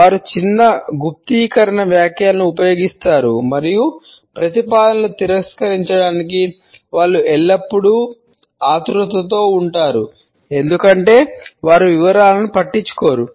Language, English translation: Telugu, The sentences they use a rather short encrypt and they are always in a hurry to reject the proposals because often they tend to overlook the details